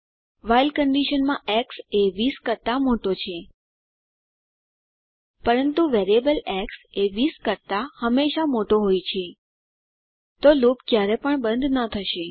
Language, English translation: Gujarati, In the while condition x is greater than 20, but the variable x is always greater than 20 So, the loop never terminates